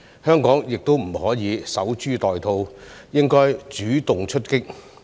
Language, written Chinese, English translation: Cantonese, 香港亦不可以守株待兔，應主動出擊。, Hong Kong should not passively wait for opportunities but take proactive actions